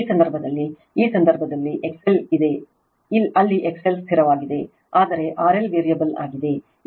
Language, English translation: Kannada, In this case in this case your Z L is there, where X L is fixed, but R L is variable